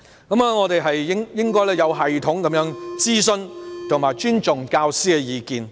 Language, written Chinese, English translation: Cantonese, 我們應該有系統地徵詢並尊重教師的意見。, We should systematically consult and respect teachers views